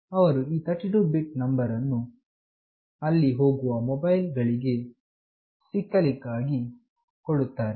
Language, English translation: Kannada, They give this 32 bit number to get to those mobiles that are moving there